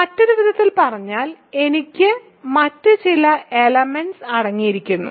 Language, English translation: Malayalam, In other words I contains some other element